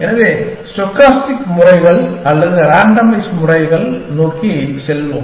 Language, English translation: Tamil, So, let us move towards stochastic methods or randomized methods